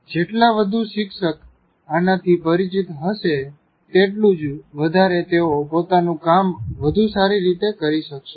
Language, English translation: Gujarati, The more you are familiar with this, the more the teacher can perform his job better